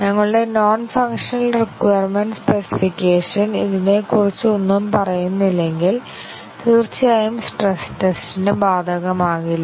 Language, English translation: Malayalam, And if our non functional requirement specification does not tell anything about this then of course, the stress testing would not be applicable